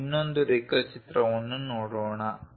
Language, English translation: Kannada, Let us look at other drawing